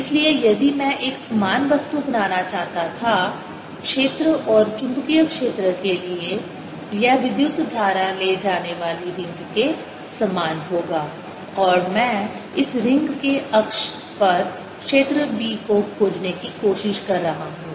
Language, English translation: Hindi, so if i would make a similar thing for field and magnetic field, it will be similar to a current carrying ring and i'm trying to find the b field on the axis of this ring